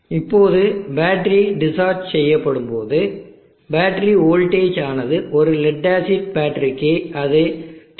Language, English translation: Tamil, Now the battery voltage when the battery is discharged for an lead acid battery it is around 10